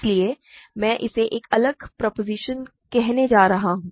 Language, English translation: Hindi, So, I am going to call this is a different proposition